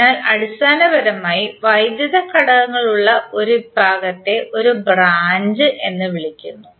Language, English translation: Malayalam, So basically were ever we see the electrical elements present that particular segment is called a branch